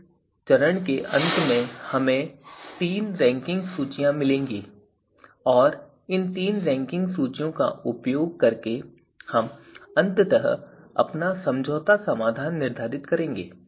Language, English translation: Hindi, So, at the end of this particular step we will get three ranking lists and using these three ranking lists we are finally going to determine our compromise solution